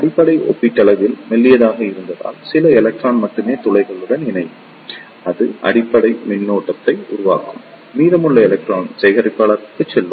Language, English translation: Tamil, Since, base is relatively thin only few electron will combine with the holes and that will constitute the base current; rest of the electron will pass to the collector